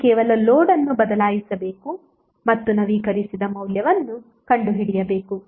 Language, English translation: Kannada, You have to just simply change the load and find out the updated value